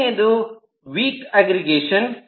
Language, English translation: Kannada, the first time is a weak aggregation